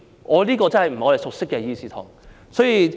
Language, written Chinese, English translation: Cantonese, 這個真的不是我們熟悉的議事堂。, This really is not the Council we are familiar with